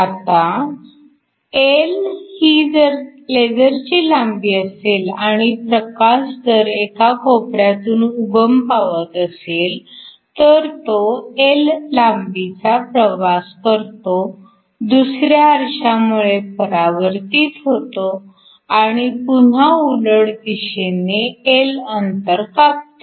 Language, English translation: Marathi, Now, if L is the length of your laser and I have and have a light that originates at one corner, it travels a length l gets reflected from the second mirror and travels a length L back which means the total distance traveled is 2 L